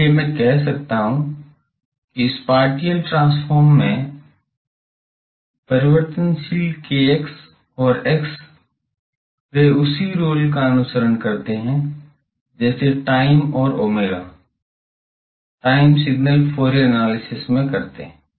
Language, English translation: Hindi, So, I can say that the variable kx and x in the spatial transform they follow the same role as t and omega in time signals Fourier analysis